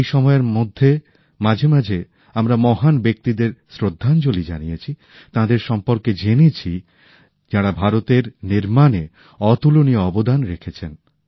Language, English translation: Bengali, During all this, from time to time, we paid tributes to great luminaries whose contribution in the building of India has been unparalleled; we learnt about them